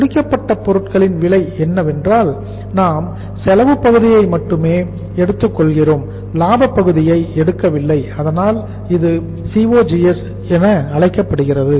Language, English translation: Tamil, Cost of inished goods is that we are taking only the cost part not the profit part so that is why it is called as the COGS